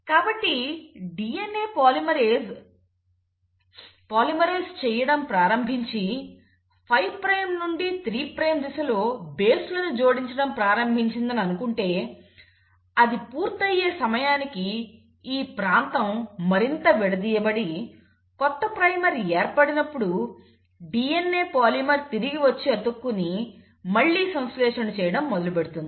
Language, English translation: Telugu, So let us say, the DNA polymerase started polymerising this thing, started adding the bases in the 5 prime to 3 prime direction, by the time it finished it, this region further uncoiled and when a new primer was formed, so the DNA polymer has to come back and jump and then synthesise again